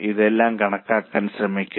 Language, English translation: Malayalam, Try to calculate all these things